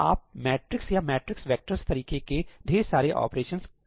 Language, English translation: Hindi, At the end of the day, you are doing a lot of matrix or matrix vector kind of operations